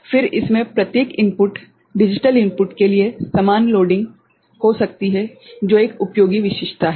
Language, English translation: Hindi, Then it can have equal loading for each input, digital input which is a useful feature